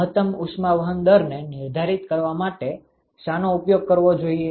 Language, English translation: Gujarati, Which one should be used to define the maximum heat transport rate